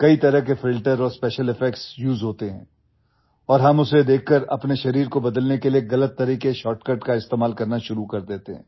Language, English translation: Hindi, Many types of filters and special effects are used and after seeing them, we start using wrong shortcuts to change our body